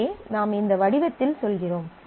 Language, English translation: Tamil, So, here you say that in this form